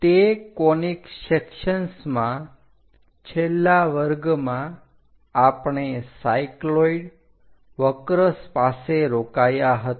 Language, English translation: Gujarati, In that conic sections, in the last class, we have stopped at the cycloid curve